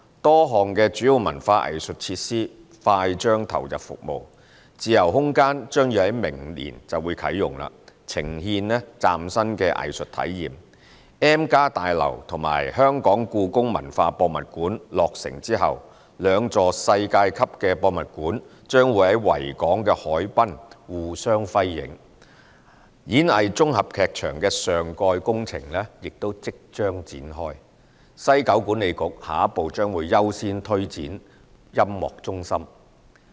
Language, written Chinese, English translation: Cantonese, 多項主要文化藝術設施快將投入服務：自由空間將在明年啟用，呈獻嶄新的藝術體驗 ；M+ 大樓和香港故宮文化博物館落成後，兩座世界級博物館將在維港海濱互相輝映；演藝綜合劇場的上蓋工程亦即將開展；西九文化區管理局下一步將優先推展音樂中心。, Various major arts and cultural facilities will soon come on stream Freespace a venue for presenting novel artistic experiences will open next year; upon completion of the M Building and the Hong Kong Palace Museum the two world - class museums will complement each other perfectly along the Victoria Harbour waterfront; the superstructure works of the Lyric Theatre Complex will also commence soon; the West Kowloon Cultural District Authority WKCDA will take the next step to accord priority to the Music Centre